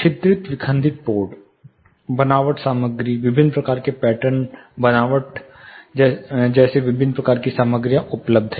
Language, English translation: Hindi, There are different types perforated fissured boards textured materials, different types of patterns textures are available